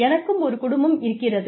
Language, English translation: Tamil, I have a family